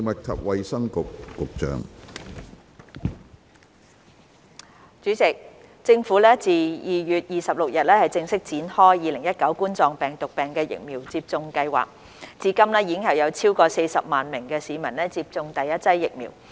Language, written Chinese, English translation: Cantonese, 主席，政府自2月26日正式展開2019冠狀病毒病疫苗接種計劃，至今已有超過40萬名市民接種第一劑疫苗。, President since the launch of the COVID - 19 Vaccination Programme on 26 February more than 400 000 citizens have received the first dose of the vaccine